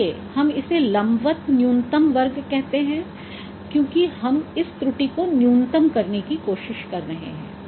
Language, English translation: Hindi, So we call it vertical list squares because now we are trying to minimize this error